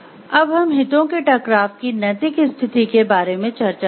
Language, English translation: Hindi, We will discuss about the moral status of the conflict of interest